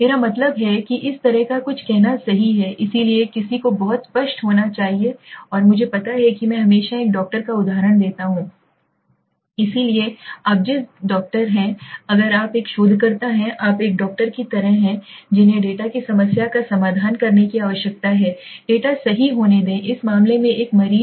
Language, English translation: Hindi, I mean to say something like this right, so one has to be very clear and this is something like you know I always give an example of a doctor right so the doctor you are if you are a researcher you are like a doctor who needs to address the problem of the data right the data being the let us say in this case a patient